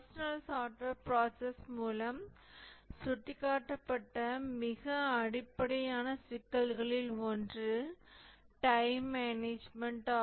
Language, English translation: Tamil, One of the most basic issues that has been pointed out by the personal software process is the time management